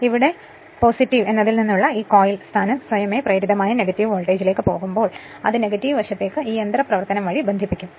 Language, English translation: Malayalam, The here this coil position from plus when it will go to the negative voltage induced automatically it will be connected to the negative side by this mechanism